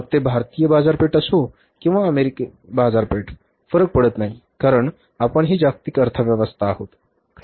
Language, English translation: Marathi, So whether it is Indian market or American market doesn't make the difference because otherwise we are also a global economy